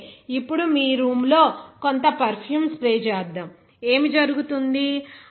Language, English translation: Telugu, So, whenever you are, suppose spray some perfume in the room, what will happen